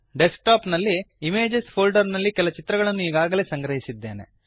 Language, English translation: Kannada, I have already stored some images on the Desktop in a folder named Images